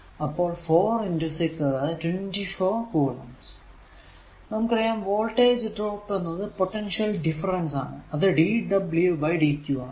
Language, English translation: Malayalam, So, and the voltage drop you know voltage is equal to that your potential difference is equal to dw upon dq